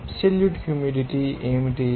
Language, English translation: Telugu, What will be the absolute humidity